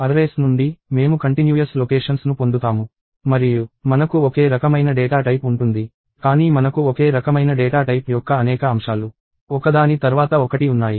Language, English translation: Telugu, So, from arrays, we get contiguous locations and we have a same data type; but we have many elements of the same data type one after the other